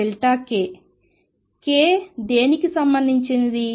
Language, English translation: Telugu, What is k related to